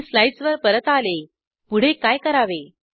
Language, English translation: Marathi, I have come back to the slides what to do next